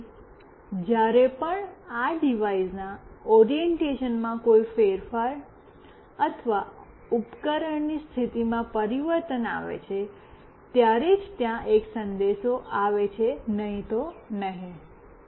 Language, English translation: Gujarati, So, whenever there is a change in orientation or change in position of this device that is the orientation, then only there is a message coming up, otherwise no